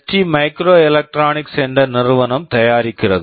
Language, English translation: Tamil, This is manufactured by a company called ST microelectronics